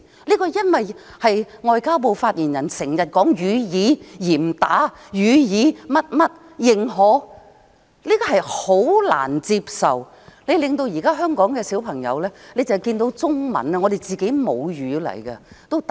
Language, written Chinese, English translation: Cantonese, 這是因為外交部發言人經常說"予以嚴打"、"予以 XX 認可"，這是十分難以接受的，令現在香港的小朋友只要看到中文也"打冷震"。, Is must be because the spokesman for the Ministry of Foreign Affairs keeps saying launch a crackdown on and to give recognition in a XX manner . I find it hardly acceptable . It makes the children in Hong Kong shudder when they see Chinese our mother tongue